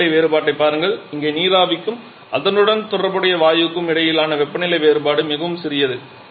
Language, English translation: Tamil, Look at the temperature difference here the temperature difference between the steam and the corresponding gash is quite smaller